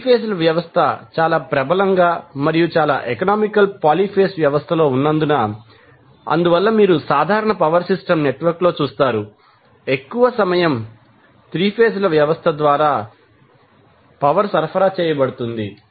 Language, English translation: Telugu, Now, since 3 phase system is most prevalent in and most economical poly phase system, so, that is why you will see in the normal power system network, most of the time the power is being supplied through 3 phase system